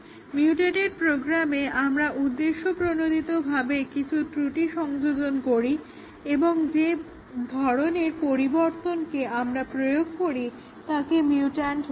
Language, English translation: Bengali, Mutated program is one where we deliberately introduced some minor fault and the type of change we apply is we call it as a mutant